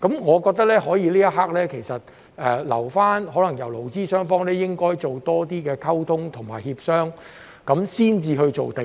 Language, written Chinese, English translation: Cantonese, 我覺得這一刻，可以留待勞資雙方多作溝通及協商，然後才作出定案。, I think at this moment we can leave it for employers and employees to communicate and negotiate more before making the final decision